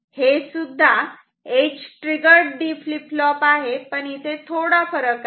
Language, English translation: Marathi, This is also edge triggered D flip flop, but there is a difference